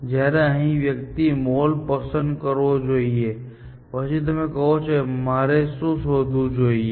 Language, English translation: Gujarati, Whereas here, one should choose the mall, then you are saying, even the mall; what else should I search for